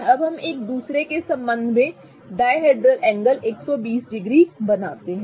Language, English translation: Hindi, Now let us make the dihedral angle to be 120 degrees with respect to each other